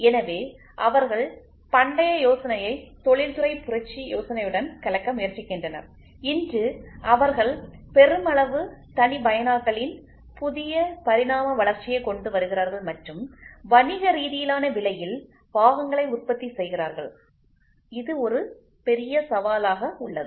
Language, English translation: Tamil, So, they are trying to take the ancient idea mix it up with the industrial revolution idea and today they are coming up with a new evolution of mass customization and produce parts economically which is a big big challenge